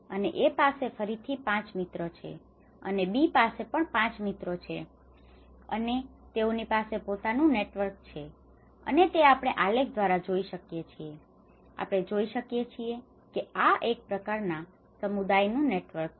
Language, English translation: Gujarati, And A has again the 5 friends and B has 5 friends and they have their own networks and this we can see by this diagram, we can see it is a kind of a community network